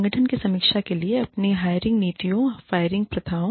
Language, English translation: Hindi, For the organization review, your hiring policies, firing practices